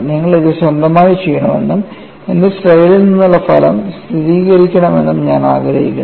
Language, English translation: Malayalam, It is not difficult, I want you to do it on your own, and then verify the result from my slide